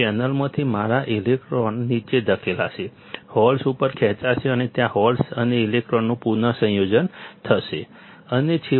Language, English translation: Gujarati, My electrons from the channel will be pushed down, the holes will be pulled up and there will be recombination of holes and electrons and ultimately